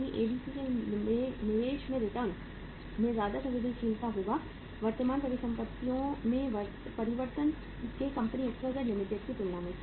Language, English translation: Hindi, In the ABC change in the return on investment will be more sensitive to the change in the current assets as compared to the company XYZ Limited